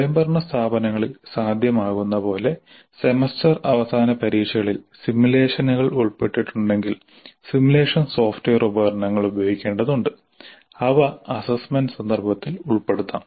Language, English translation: Malayalam, If simulations are involved in the semester and examination which is possible in autonomous institutions, simulation software tools need to be used and they can be incorporated into the assessment context